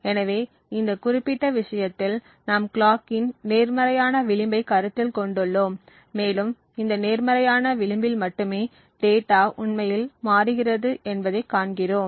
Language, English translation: Tamil, So, in this particular case we are considering the positive edge of the clock and we see that only on this positive edge it is likely that the data actually transitions